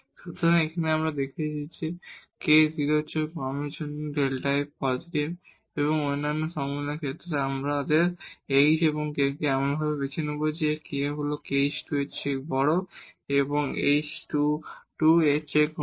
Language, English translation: Bengali, So, here we have seen that for k less than 0 delta f is positive and in the other possibilities, we will choose our h and k such that; the k is bigger than h square and less than 2 h square